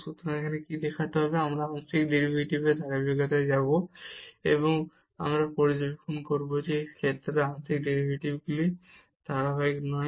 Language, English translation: Bengali, So, what is now to show, that we will go to the continuity of the partial derivatives and we will observe that the partial derivatives are not continuous in this case